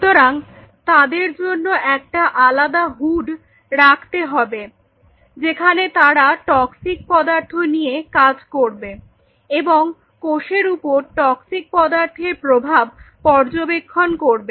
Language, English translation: Bengali, So, they may need a very separate hood where they can play out with there you know toxic material and see they are effect on the cells